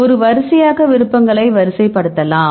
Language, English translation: Tamil, Then we can sorting you can have a sorting options